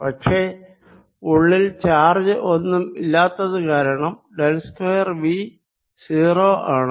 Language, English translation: Malayalam, it will start moving away and this is a consequence of del square v being zero